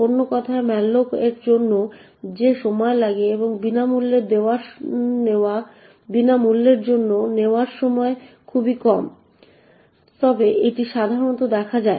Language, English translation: Bengali, In other words the time taken for malloc and the time taken for free is extremely small however it is generally what is seen